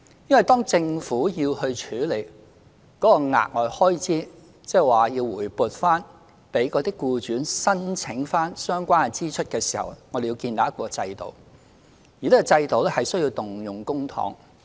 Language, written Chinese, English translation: Cantonese, 因為當政府要處理該額外開支，即以報銷形式向僱主發還相關支出時，我們要建立一個制度，而這個制度需要動用公帑。, The reason is that a system will have to be established for the Government to reimburse the extra maternity pay incurred to employers and public money will be involved in the process